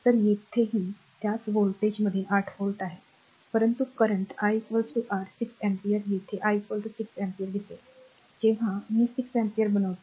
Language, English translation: Marathi, So, same voltage here also 8 volt, but current I is equal to your 6 ampere here I is equal to 6 ampere is given look at that point when I am making 6 ampere